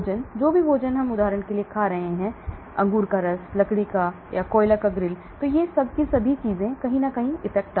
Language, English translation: Hindi, Food, whatever food we are eating for example, charcoal grill, grapefruit juice